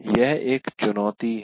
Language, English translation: Hindi, That is a challenge